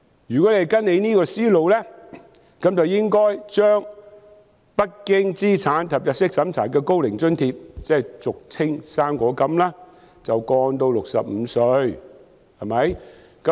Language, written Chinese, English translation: Cantonese, 如果跟隨這樣的思路，便應該把無須經資產及入息審查的高齡津貼申請年齡降至65歲，對嗎？, Following this line of thought the eligibility age for the non - means - tested Old Age Allowance should be lowered to 65 right?